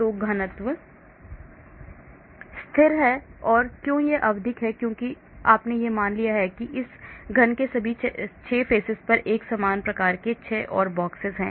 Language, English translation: Hindi, So the density is constant and; why it is periodic because you have assumed that there are 6 more boxes of similar type on all the 6 faces of this cube